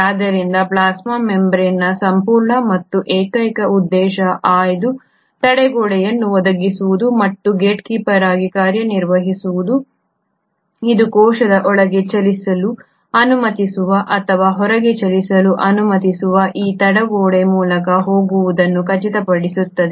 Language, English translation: Kannada, So the whole and sole purpose of the plasma membrane is to provide that selective barrier and act as a gatekeeper, it will make sure that only what is allowed to move in or what is allowed to move outside of a cell goes through this barrier, otherwise no